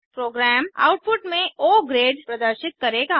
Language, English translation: Hindi, The program will display the output as O grade